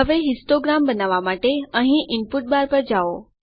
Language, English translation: Gujarati, Now to create the histogram , go to the input bar here